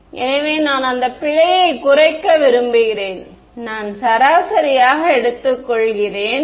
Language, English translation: Tamil, So, I want to minimize that error so, I take an average